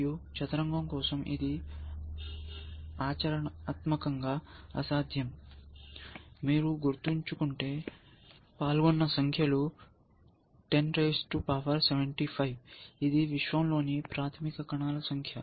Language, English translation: Telugu, ) chess is practically impossible, if you remember the kind of numbers you are talking about, 10 raise to 75 is the number of fundamental particles in the universe